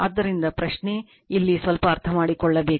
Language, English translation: Kannada, So, question is that that here little bit you have to understand right